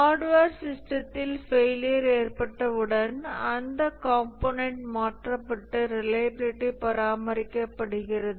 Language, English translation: Tamil, In hardware system, once there is a failure, the component is replaced and the reliability is maintained